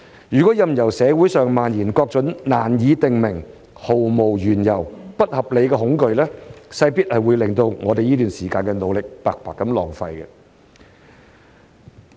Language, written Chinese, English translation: Cantonese, 如任由社會上蔓延各種羅斯福總統所指的"難以定名、毫無緣由、不合理的恐懼"，勢必會令我們這段時間的努力白白浪費。, If nameless unreasoning unjustified terror as President Franklin ROOSEVELT put it is allowed to spread in the community all efforts that we have put in during this period will be wasted